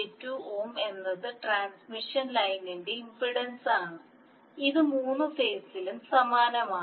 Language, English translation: Malayalam, 5 minus j2 ohm is the impedance of the transmission line and it is the same in all the three phases